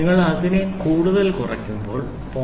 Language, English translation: Malayalam, When you reduce it further down, in steps of 0